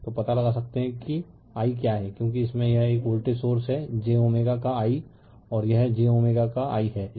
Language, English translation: Hindi, So, you can find out what is i right because this has this is a voltage source j omega of i and this j omega of i right